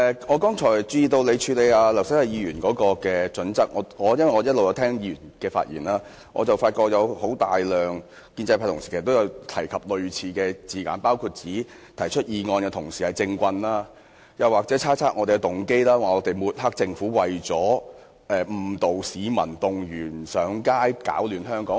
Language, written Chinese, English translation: Cantonese, 我一直在聆聽議員的發言，發覺很多建制派同事均有用類似的字眼，包括指提出議案的同事是"政棍"，又或是猜測我們的動機，指我們抹黑政府是為了誤導市民，動員上街，攪亂香港。, I have been listening to Members speeches and noticed that many colleagues of the pro - establishment camp have used similar terms such as calling the mover of this motion a political swindler or speculating on our motives accusing us of smearing the Government in the hope of misleading members of the public mobilizing them to take to the streets and bringing chaos to Hong Kong